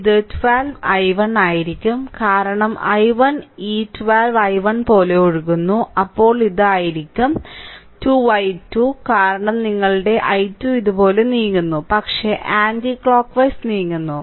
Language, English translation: Malayalam, So, it will be look into that it will be 12 i 1, because i 1 is flowing like this 12 i 1, then it will be minus 2 i, 2 because i 2 is moving like this, but we are moving anticlockwise